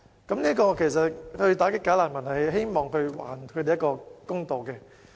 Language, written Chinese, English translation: Cantonese, 他們之所以想打擊"假難民"，是希望還自己一個公道。, They want to combat bogus refugees because they want to return justice to themselves